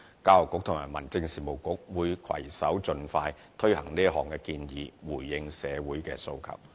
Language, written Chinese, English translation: Cantonese, 教育局和民政事務局會攜手盡快推行這項建議，回應社會的訴求。, The Education Bureau and the Home Affairs Bureau will collaborate to implement this proposal as soon as possible so as the address the demand of society